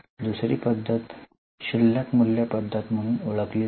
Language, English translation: Marathi, The second method is known as reducing balance method